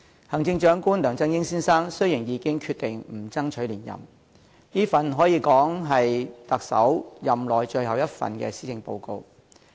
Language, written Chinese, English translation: Cantonese, 行政長官梁振英先生已決定不爭取連任，所以這可說是他特首任內最後一份施政報告。, The Chief Executive Mr LEUNG Chun - ying has already decided that he would not seek re - election and thus this is the final Policy Address he delivered in office